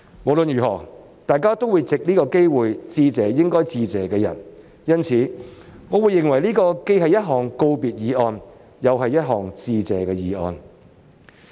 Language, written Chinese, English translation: Cantonese, 無論如何，大家都會藉此機會向應該致謝的人致意，因此，我認為這既是一項告別議案，又是—項致謝議案。, Anyhow we will all take this opportunity to give our regards to those who deserve our thanks and I therefore consider this both a valedictory motion and a motion of Thanks